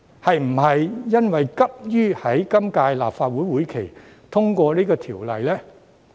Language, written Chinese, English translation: Cantonese, 是否因為急於在今屆立法會會期內通過《條例草案》呢？, Is it because the Government is too eager to pass the Bill within the current legislative session?